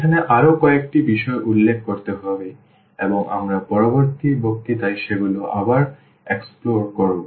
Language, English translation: Bengali, There are a few more points to be noted here and we will explore them in the next lecture again